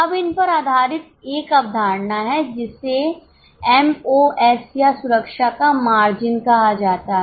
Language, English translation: Hindi, Now based on this there is a concept called as MOS or margin of safety